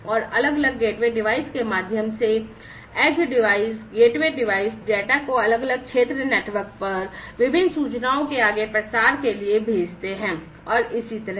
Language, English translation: Hindi, And through the different gateway devices, edge devices, gateway devices and so on the data are sent to the wide area network for further dissemination of different information and so on